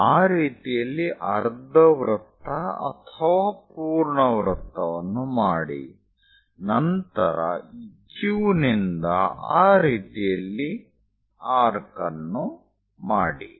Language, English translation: Kannada, So, make a semicircle or full circle in that way, then from this Q mark an arc in that way